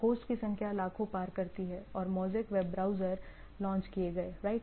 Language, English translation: Hindi, Number of host cross millions and Mosaic web browser are launched right